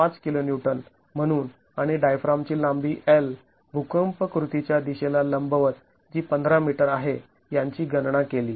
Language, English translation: Marathi, 7 kilo neutons and the length of the diaphragm perpendicular to the direction of the earthquake action is L which is 15 meters